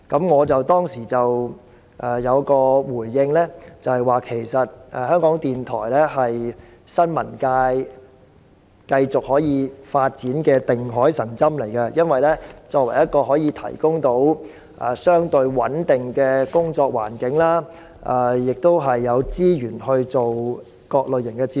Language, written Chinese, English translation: Cantonese, 我當時回應指出，其實港台是新聞界得以繼續發展的"定海神針"，因港台作為一個公營機構，可以提供相對穩定的工作環境，並有資源製作各類型節目。, I pointed out in response that RTHK was actually playing the role of a stabilizer facilitating the sustained development of the press for RTHK being a public organization might provide a relatively stable working environment and resources for the production of a variety of programmes